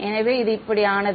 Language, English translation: Tamil, So, this became this